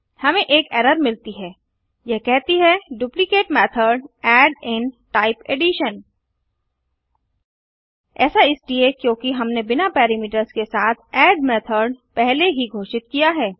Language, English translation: Hindi, We get an error it states that duplicate method add in type addition This is because we have already declared a method add with no parameters